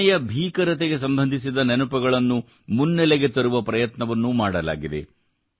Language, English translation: Kannada, An attempt has been made to bring to the fore the memories related to the horrors of Partition